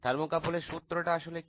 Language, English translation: Bengali, What is the law of thermocouple